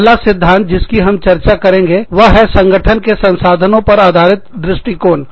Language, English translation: Hindi, The first theory, that we will be talking about, is the resource based view of the firm